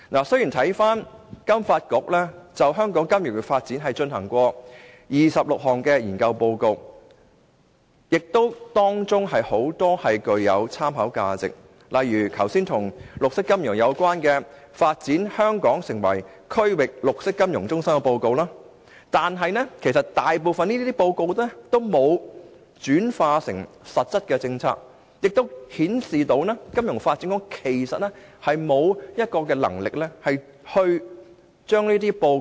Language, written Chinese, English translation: Cantonese, 雖然金發局就香港金融業發展而發表的26份研究報告中，不乏具有參考價值的報告，例如剛才提及與綠色金融有關的《發展香港成為區域綠色金融中心》的報告，但大部分報告卻並沒有轉化成為實質的政策，這顯示金發局並無能力這樣做。, Some of the 26 reports published by FSDC on the development of Hong Kongs financial industry can indeed provide useful reference one example being Hong Kong as a Regional Green Finance Hub mentioned just now but most of these reports are not translated into concrete policies showing that FSDC is incapable of doing so